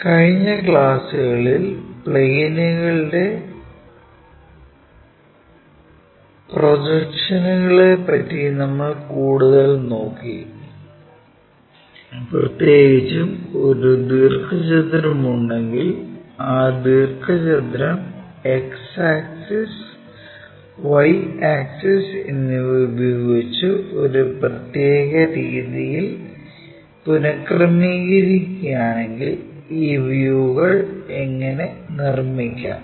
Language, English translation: Malayalam, So, in the last classes we try to look at projection of planes, especially if there is a rectangle and that rectangle if it is reoriented with the X axis, Y axis in a specialized way, how to construct these views